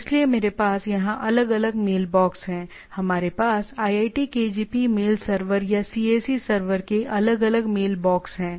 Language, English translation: Hindi, So, I have individual mailboxes like here, we are having individual mailboxes in our say iitkgp mail server or cac server